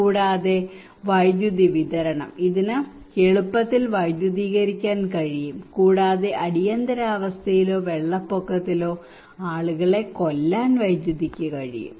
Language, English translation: Malayalam, Also the electricity supply; it can easily electrified, and current can kill people during emergency or flood inundations